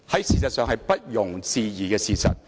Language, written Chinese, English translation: Cantonese, 事實上，這是不容置疑的事實。, It is actually an indisputable fact